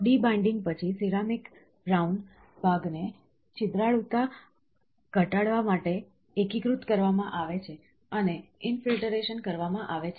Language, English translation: Gujarati, After the debinding, the ceramic brown part is consolidated to reduce the porosity and is infiltrated